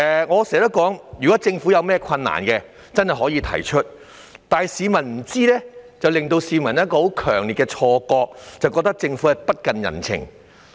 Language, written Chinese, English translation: Cantonese, 我經常指出，政府如有困難實可提出，否則市民在不知情的情況下，只會產生很強烈的錯覺，認為政府不近人情。, I frequently make the point that the Government should make known any difficulties it has encountered or the public will have a strong misconception that the Government is utterly uncaring since they are uninformed of the actual situation